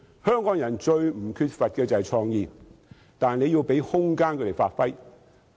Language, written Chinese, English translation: Cantonese, 香港人最不缺乏的是創意，但要給予他們發揮的空間。, Hongkongers never lack creativity . Yet we need to give them room to give play to their potential